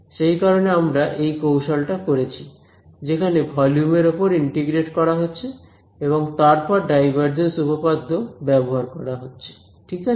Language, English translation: Bengali, So, that is why we do this trick of integrating over volume then using divergence theorem ok, good question right